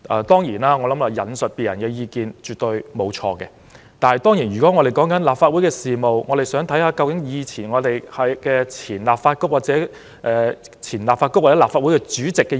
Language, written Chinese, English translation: Cantonese, 當然，引述他人的意見絕對沒有錯，尤其是立法會事務，我們可以參考前立法局或前立法會主席的意見。, Of course there is absolutely nothing wrong with quoting others opinions and for business of the Legislative Council in particular we may refer to the opinions of former Presidents of the Legislative Council